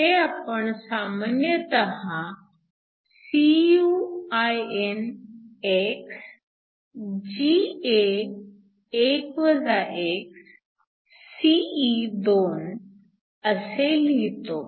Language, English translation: Marathi, So, it is usually written as Cuinx Ga1 x Se2